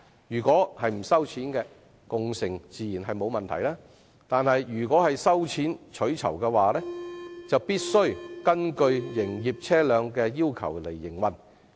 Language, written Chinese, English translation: Cantonese, 如果共乘不收費，當然沒有問題；但如果收費取酬，便須按照營業車輛的要求營運。, Certainly there are no problems so long as car - sharing is free . If car - sharing passengers are charged for reward the vehicles must operate according to the requirements for commercial vehicles